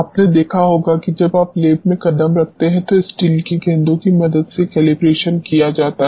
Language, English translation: Hindi, You might have seen when you step the lab at the calibration is done with the help of steel balls